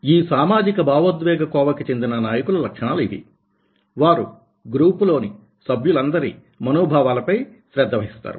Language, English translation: Telugu, and these are the characteristics that socio emotional leader: what they are doing, so he or she pays attention to how everyone feels in the group